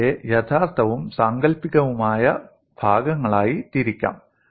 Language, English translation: Malayalam, And these could be grouped as real and imaginary part